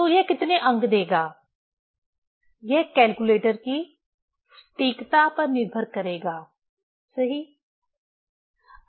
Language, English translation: Hindi, So, how many digit it will give, it will depend on the accuracy of the calculator, right